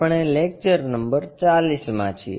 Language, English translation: Gujarati, We are at Lecture number 40